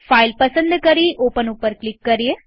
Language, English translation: Gujarati, Select the file and click on Open